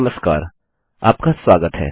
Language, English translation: Hindi, Hello and welcome